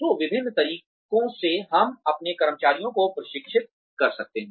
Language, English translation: Hindi, So various ways in which, we can train our employees